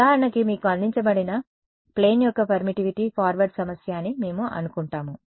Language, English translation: Telugu, We assume that for example, the permittivity of an aircraft that was given to you that is the forward problem